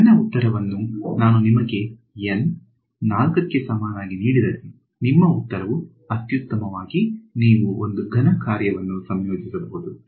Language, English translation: Kannada, So, my answer if I give you N equal to 4, your answer is at best you can approximate a cubic function are integrated